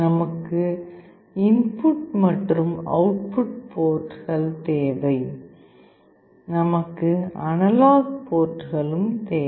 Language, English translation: Tamil, We need input output ports; we also need analog ports